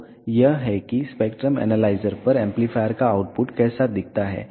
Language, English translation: Hindi, So, this is how the output of the amplifier on the spectrum analyzer looks like